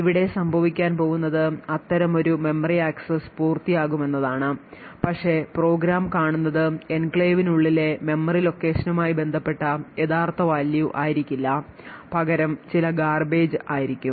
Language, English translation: Malayalam, So what is going to happen over here is that such a memory access would complete but what the program would see is some garbage value and not the actual value corresponding to that memory location present inside the enclave